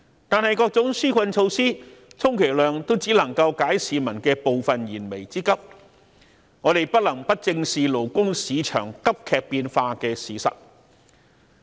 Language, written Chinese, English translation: Cantonese, 但是，各種紓困措施充其量只能夠解市民的部分燃眉之急，我們不能不正視勞工市場急劇變化的事實。, However such relief measures at best can only alleviate some of the hardships faced by the people and we cannot turn a blind eye to the fact that the labour market is undergoing rapid changes